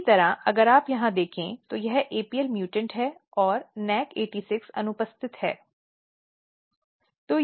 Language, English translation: Hindi, Similarly, if you look here this is apl mutant and NAC86 so cells are absent